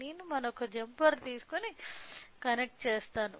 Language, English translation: Telugu, I will take another jumpers and connect